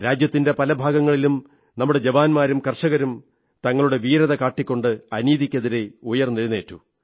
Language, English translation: Malayalam, In many parts of the country, our youth and farmers demonstrated their bravery whilst standing up against the injustice